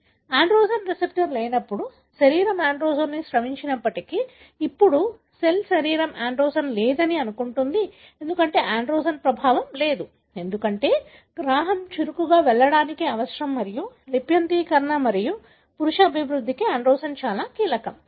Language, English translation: Telugu, So, when there is no androgen receptor, even if the body secrets the androgen, now the cell, the body would assume that there is no androgen, because there is no effect of androgen, because it needs the receptor to be active to go and transcribe and the androgen is very very critical for male development